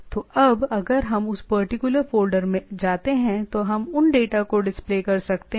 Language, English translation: Hindi, So, now, if we go to that particular folder then we can have those data displayed